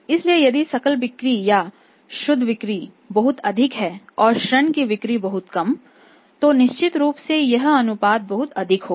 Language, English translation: Hindi, So, gross sales or net sales are very high and credit sales are very low the certainly in this ratio will be very high right